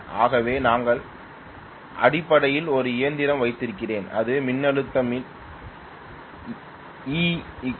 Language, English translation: Tamil, So let us say I have basically a machine which is going to have the voltage induced to be E equal to 4